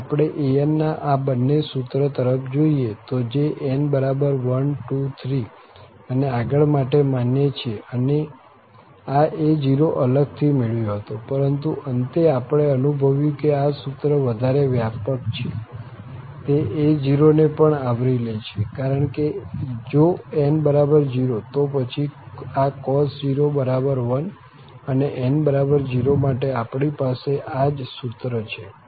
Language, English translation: Gujarati, If we look at these two formulas of an which was valid for n equal to 1, 2, 3, and so on and this a0 was separately derived but at the end what we realized that this formula is more general, it is covering this a0 as well because if n is 0, this cos0 is 1 and we have exactly this formula for n equal to 0